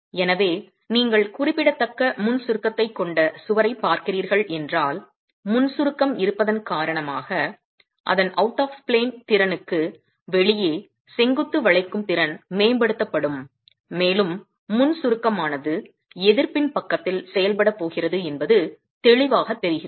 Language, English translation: Tamil, So, if you are looking at a wall which has significant pre compression, then its out of plane capacity, vertical bending capacity is going to be enhanced because of the presence of the pre compression, right